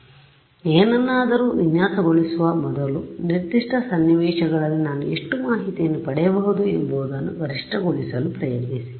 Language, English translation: Kannada, So, before designing something try to maximize how much information I can get in a given scenario